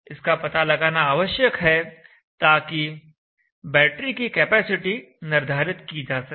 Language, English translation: Hindi, We need to know this, whatever the load is in order to decide the capacity of the battery